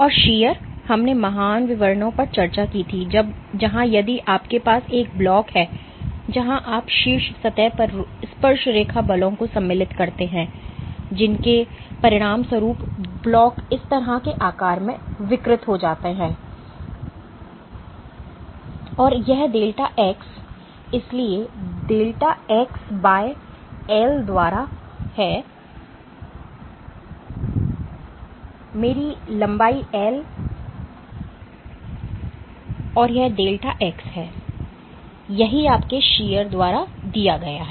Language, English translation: Hindi, And shear, we had discussed in great details where if you have a block where you insert tangential forces on the top surface as a consequence of which the block deforms to a shape like this, and this delta x, so delta x by l this is my length l and this is delta x this is what is given by your shear